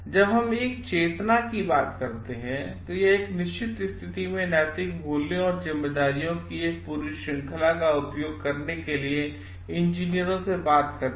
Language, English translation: Hindi, When we talking of consciousness, it talks of the it calls for engineers to exercise a full range of moral values and responsibilities in a given situation